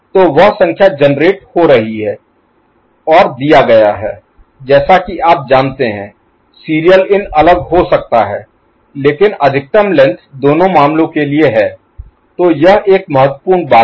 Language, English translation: Hindi, So, that number getting generated and fed as you know, serial in could be different, but maximum length is there for both the cases, ok